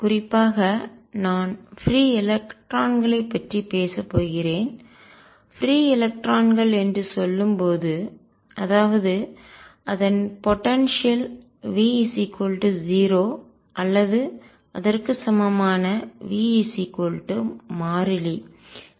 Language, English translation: Tamil, And in particular I am going to talk about free electrons, and when I say free electrons; that means, the potential energy v is equal to 0 or equivalently v equals constant